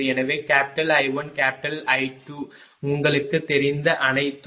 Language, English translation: Tamil, So, I 1, I 2 everything you know